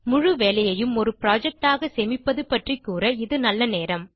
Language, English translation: Tamil, Now is a good time to talk about saving the entire work as a project